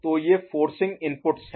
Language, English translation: Hindi, So, these are forcing inputs, right